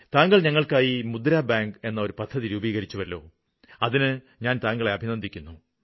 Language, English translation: Malayalam, I want to congratulate the Prime Minister for starting a programme MUDRA bank